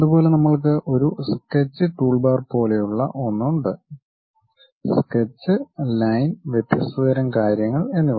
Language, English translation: Malayalam, Similarly, we have something like a Sketch toolbar something like Sketch, Line and different kind of thing